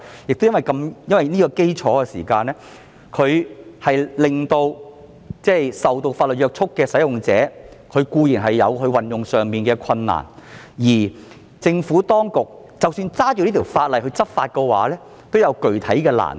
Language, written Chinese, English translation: Cantonese, 正正因為這個原因，固然令受法律約束的使用者有運作上的困難，而當局根據這項法例在執法上也有具體的難度。, Precisely owing to this reason not only will users bound by the law face operational difficulties but the authorities will also encounter substantial difficulties in the enforcement of this law